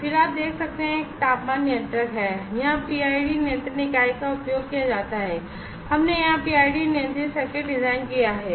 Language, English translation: Hindi, And then you can see this is a temperature controller, here PID control unit is used, we have designed a PID controlled circuit here